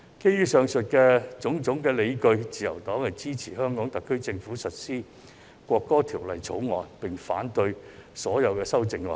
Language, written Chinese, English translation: Cantonese, 基於上述種種理據，自由黨支持香港特區政府提交《條例草案》及落實《國歌法》，並反對所有修正案。, For the various aforementioned reasons the Liberal Party supports the HKSAR Government in tabling the Bill and applying the National Anthem Law and opposes all amendments